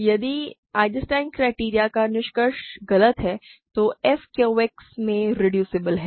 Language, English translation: Hindi, If the conclusion of the Eisenstein criterion is false, then f is reducible in Q X